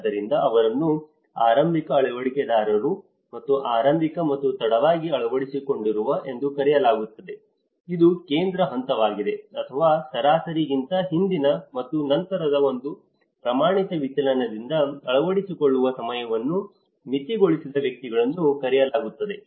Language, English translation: Kannada, so these are referred as early adopters and early and late majority adopters which is the central phase, or the individuals whose time of adoption was bounded by one standard deviation earlier and later than the average